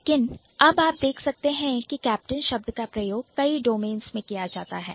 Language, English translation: Hindi, But now you can see captain can be used in multiple dimensions in multiple domains